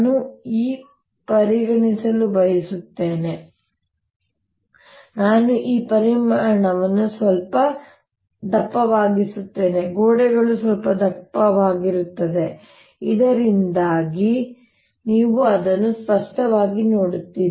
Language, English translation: Kannada, what i want to consider now i'll make this volume little thicker, so that the walls little thicker, so that you see it clearly